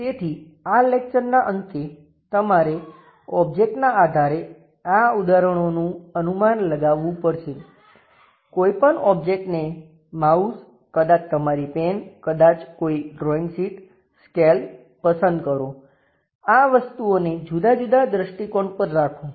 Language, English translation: Gujarati, So, end of this class you have to guess these examples based on the object; pick any object perhaps mouse, may be your pen, may be a drawing sheet, scale, this kind of things keep it at different kind of orientation